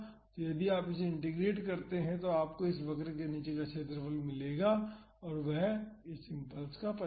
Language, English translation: Hindi, So, if you integrate it you will get the area under this curve and that is the magnitude of the impulse